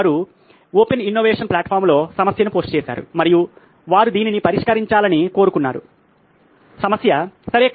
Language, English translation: Telugu, They posted a problem on an open innovation platform and they wanted to solve this problem, okay